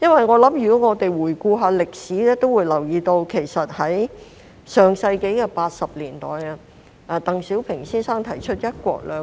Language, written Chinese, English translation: Cantonese, 我們回顧歷史會留意到在上世紀80年代，鄧小平先生提出了"一國兩制"。, Looking back at history we may notice that in the 1980s Mr DENG Xiaoping put forth the principle of one country two systems